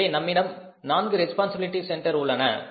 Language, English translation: Tamil, So, we have the four responsibility centers